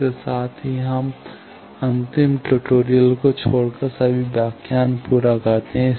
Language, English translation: Hindi, With this we complete all the lectures except the last tutorial